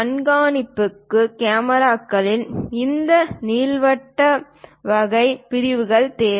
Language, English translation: Tamil, For surveillance, cameras also we require this elliptical kind of sections